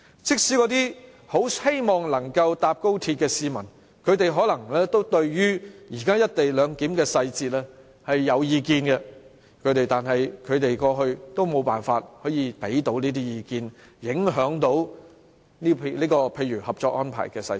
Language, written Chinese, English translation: Cantonese, 即使那些期待乘搭高鐵的市民，也都可能對現時"一地兩檢"的細節有意見，但是，過去他們都無從提供意見，無法影響《合作安排》的細節。, Even those people who look forward to travelling on XRL may also have something to say about the technicalities of the present co - location arrangement . But they likewise cannot express their views and have any say on the technicalities of the cooperation agreement